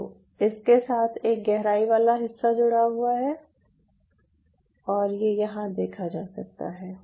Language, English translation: Hindi, ok, so there is a depth component associated with it and that could be seen here